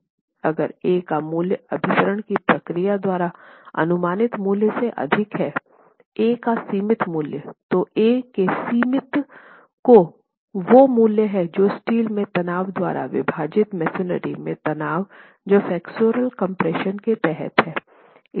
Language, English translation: Hindi, In case the value of A that you have estimated by the procedure of convergence is greater than the value, the limiting value of A, then limiting value of A is the value limited by the stress in steel divided by the stress in the masonry under flexual compression